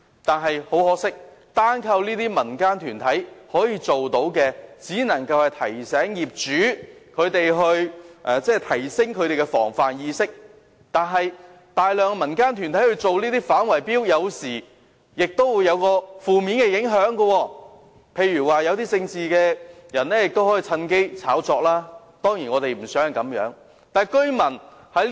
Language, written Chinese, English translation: Cantonese, 可是，很可惜，如果單靠這些民間團體，可以做到的可能只是提醒業主提升防範意識，而大量的民間團體進行這些反圍標工作，有時候亦會有一些負面影響，例如一些從政的人士趁機炒作，當然我們並不希望是這樣。, But much to our regret relying on these civil organizations alone may only help remind owners to be more vigilant . Besides when a large number of civil organizations are involved in fighting bid - rigging negative effects may sometimes arise . For instance some people engaging in politics may seize the opportunity to hype up the issue and of course I do not wish to see this happen